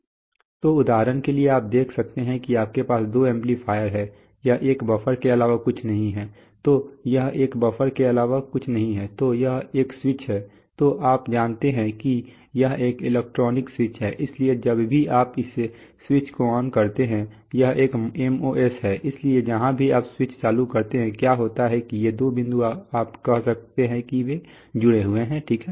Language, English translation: Hindi, So for example, so you can see that you have two amplifiers, this is nothing but a buffer okay, so this is nothing but a buffer, so whenever, so this is a switch you know this is an electronic switch, so whenever you turn the switch on this is a MOS, so wherever you turn the switch on, what happens is that these two points you can say that is they are connected, okay